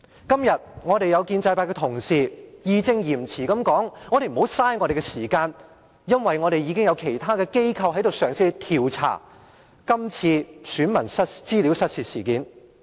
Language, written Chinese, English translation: Cantonese, 今天，有建制派同事義正詞嚴地說：不要浪費大家的時間，因為已有其他機構嘗試調查這次選民資料失竊事件。, Some colleagues from the pro - establishment camp point out righteously and seriously today that we should not waste our time launching an inquiry since there are other agencies trying to investigate the loss of personal data of electors in the incident under discussion